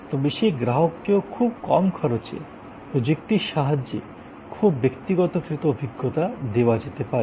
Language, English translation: Bengali, But, even that customer can be given a very personalized experience with the power of technology at a very economic cost